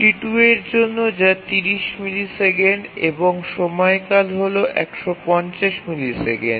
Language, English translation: Bengali, T2 takes 30 milliseconds and 150 milliseconds is the period